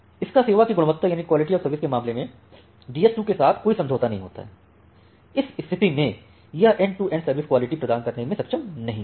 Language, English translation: Hindi, So, it does not have any agreement with DS 2 in terms of this quality of service in that case, it will not be able to provide that end to end quality of service